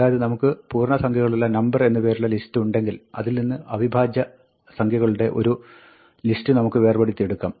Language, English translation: Malayalam, So, we might have a list of integers called number list, and from this, we might want to extract the list of primes